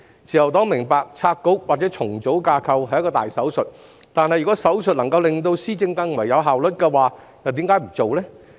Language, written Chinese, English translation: Cantonese, 自由黨明白拆局或重組架構是一個大手術，但如果手術能令施政更有效率，為何不實行呢？, The Liberal Party understands that splitting or reorganizing a bureau is a major operation but if the operation can make policy implementation more efficient why do we not do it?